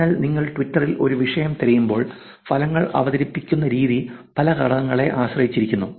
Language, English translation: Malayalam, So, when you search for a topic in Twitter, the way that the results are presented depends on many factors